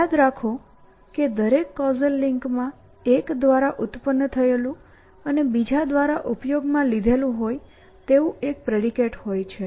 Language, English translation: Gujarati, Remember that every causal link has a predicate produced by one consumed by the other